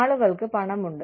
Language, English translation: Malayalam, People have money